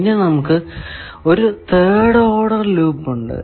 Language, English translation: Malayalam, Then, we have third order loop